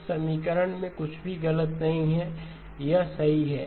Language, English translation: Hindi, There is nothing wrong in this equation, this is correct